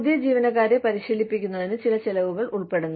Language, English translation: Malayalam, There is some cost involved in training the new employees